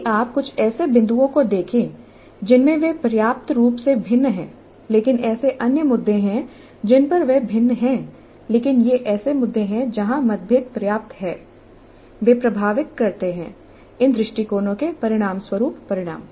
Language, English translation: Hindi, If you look at some of the points in which they differ substantially there are many other issues where they differ but these are the issues on which the differences are substantial and they do influence the outcomes that result from these approaches